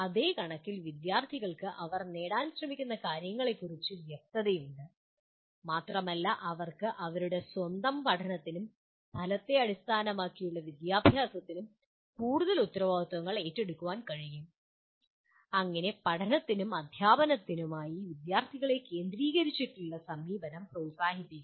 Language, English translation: Malayalam, And on the same count students are clear about what they are trying to achieve and they can take more responsibility for their own learning and outcome based education thus promotes a student centered approach to learning and teaching